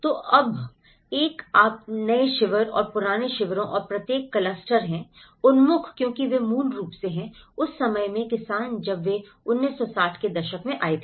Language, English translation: Hindi, So, now, one is you have the new camps and the old camps and each cluster has been oriented because they are basically, the farmers in that time when they came to 1960s